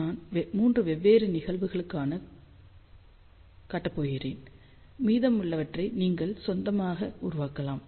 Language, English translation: Tamil, I am just going to show you for 3 different cases you can built the rest on your own